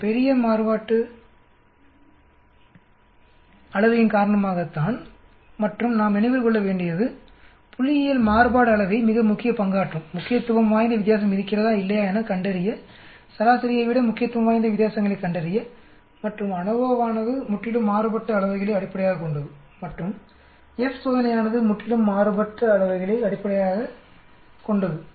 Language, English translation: Tamil, Because of these large variance and we need to keep that point in mind that variance is very very important that will play more important in statistically, identifying significant differences or not finding significant differences rather than the mean and ANOVA is completely based on the variances and F test is completely based on variances